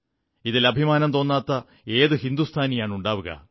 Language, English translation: Malayalam, Which Indian wouldn't be proud of this